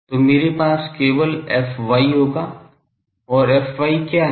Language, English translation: Hindi, So, I will have only fy and what is fy